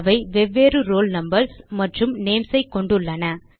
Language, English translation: Tamil, They have different roll numbers and names